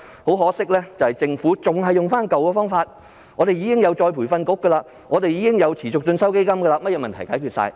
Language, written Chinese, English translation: Cantonese, 可惜的是，政府仍然沿用舊方法，說道已設有再培訓局和基金等，可以解決所有問題。, Regrettably the Government adheres to the previous approach all the same and argues that the ERB and CEF now in place can already solve all problems